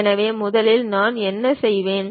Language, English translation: Tamil, So, first what I will do